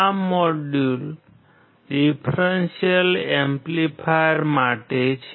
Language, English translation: Gujarati, This module is for the Differential amplifier